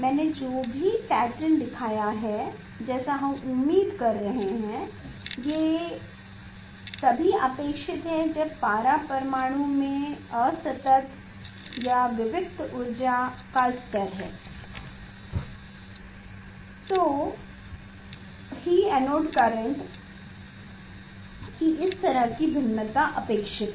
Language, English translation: Hindi, whatever the pattern I have shown whatever the pattern I have shown which we are expecting if the mercury atom has the discrete energy level this kind of variation of the anode current is expected